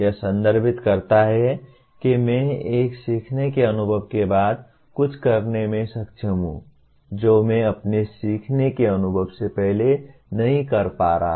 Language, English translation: Hindi, What it refers to is “I am able to do something after a learning experience what I was not able to do prior to my learning experience”